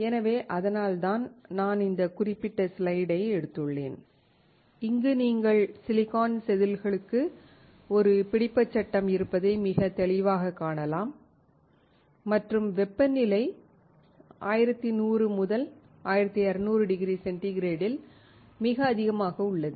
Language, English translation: Tamil, So, that is why we have taken this particular slide and here you can see very clearly that you have a holder for the silicon wafers and the temperature is extremely high around 1100 to 1200 degree centigrade